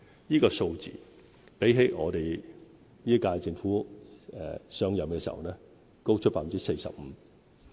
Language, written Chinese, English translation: Cantonese, 這個數字比本屆政府上任時高出 45%。, The figure is 45 % higher than that at the beginning of the current - term Government